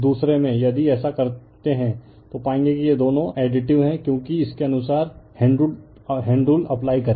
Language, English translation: Hindi, In other if if you do so you will find this two are additive because you apply the your what you call, right hand rule according to this